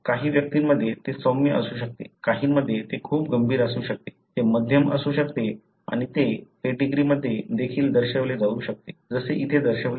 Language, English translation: Marathi, It could be milder in some individuals, it could be very severe in some, it could be moderate and that also can be denoted in the pedigree, like what is shown here